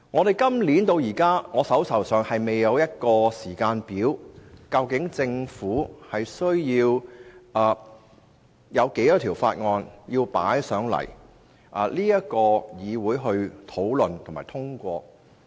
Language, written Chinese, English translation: Cantonese, 截至現時為止，我手邊仍未有任何時間表詳列政府會有多少項法案須提交立法會討論和通過。, So far I have not received any timetable setting out the number of bills to be tabled at this Council for discussion and passage